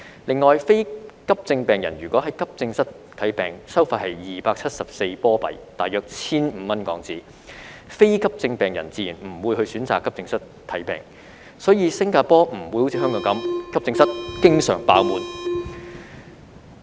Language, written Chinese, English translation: Cantonese, 另外，非急症病人如果在急症室看病，收費是274新加坡元，即大約 1,500 港元，非急症病人自然不會選擇到急症室看病，所以新加坡不會像香港般，急症室經常"爆滿"。, Instead they will be advised to seek treatment at clinics . In addition non - urgent patients using AE services will be charged S274 which is around HK1,500 . As such non - urgent patients naturally will not choose to seek treatment at AE departments